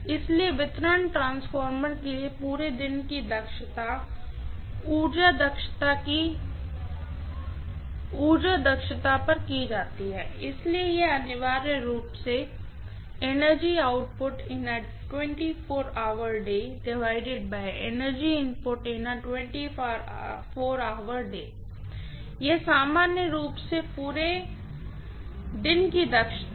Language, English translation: Hindi, So, this all day efficiency for a distribution transformer is calculated at energy efficiency, so it is essentially energy output in a 24 hour day divided by energy input in a 24 hour day, this is the all day efficiency normally